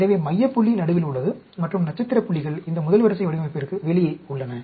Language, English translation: Tamil, So, center point is right in the middle and star points are outside this first order design